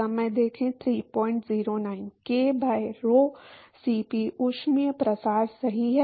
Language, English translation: Hindi, k by rho Cp is thermal diffusivity right